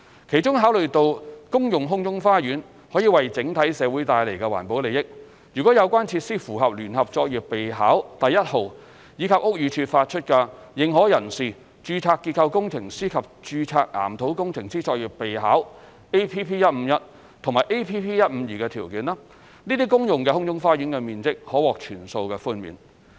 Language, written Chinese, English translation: Cantonese, 其中，考慮到公用空中花園可為整體社會帶來環保利益，如有關設施符合《聯合作業備考》第1號，以及屋宇署發出的《認可人士、註冊結構工程師及註冊岩土工程師作業備考》APP-151 及 APP-152 的條件，該些公用空中花園的面積可獲全數寬免。, Specifically recognizing the environmental benefits brought by communal sky gardens full GFA concession may be granted if such feature meets the criteria set out in JPN No . 1 and Practice Notes for Authorized Persons Registered Structural Engineers and Registered Geotechnical Engineers APP - 151 and APP - 152 issued by BD